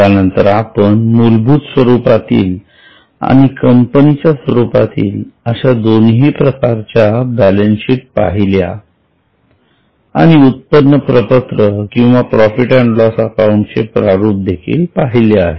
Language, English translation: Marathi, We have already discussed the basics of financial statements then we have seen balance sheet both the basic format and the company format and we have also seen income statement or profit and loss account formats